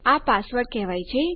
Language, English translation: Gujarati, And its called password